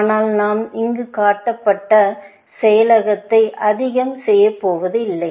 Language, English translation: Tamil, But we are not going to do too much of constraint processing, here